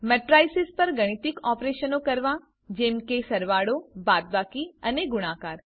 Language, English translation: Gujarati, Perform mathematical operations on Matrices such as addition, subtraction and multiplication